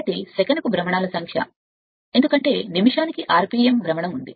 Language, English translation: Telugu, So, number of revolutions per second because we have taken speed rpm revolution per minute